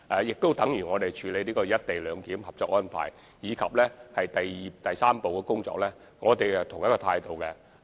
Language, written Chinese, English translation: Cantonese, 正如在處理有關"一地兩檢"的《合作安排》及第三步的工作，我們都抱有同一態度。, We have also adopted the same attitude in handling the Co - operation Arrangement for the implementation of the co - location arrangement and our work in the third step